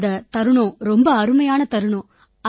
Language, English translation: Tamil, That moment was very good